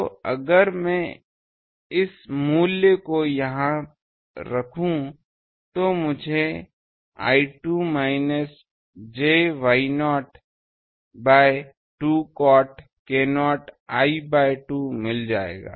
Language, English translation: Hindi, So, if I put this value here, so I will get I 2 is equal to V into minus j Y not by 2 cot k not l by 2, please check